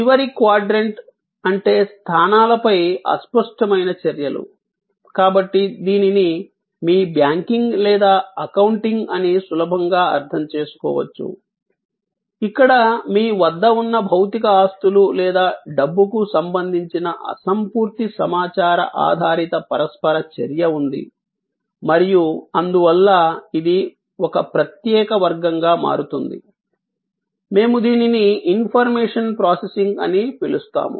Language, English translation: Telugu, A last quadrant is the one where intangible actions on positions, so this can be easily understood as your banking or accounting, where there is an intangible information oriented interaction related to material possessions or money that you have and therefore, that becomes a separate category, which we call information processing